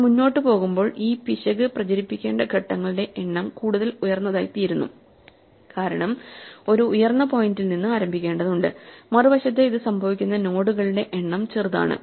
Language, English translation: Malayalam, So, as we are going up the number of steps that we need to propagate this error goes higher and higher because we need to start at a higher point on the other hand the number of nodes for which this happens is smaller